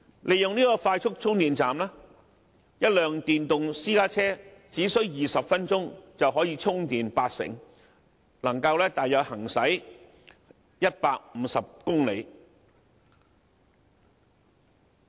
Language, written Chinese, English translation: Cantonese, 利用快速充電站，一輛電動私家車只需20分鐘，便可以充電八成，能夠行駛大約150公里。, It takes only 20 minutes for the battery of an electric private car to be 80 % full using the aforesaid quick charger that provides 150 miles of range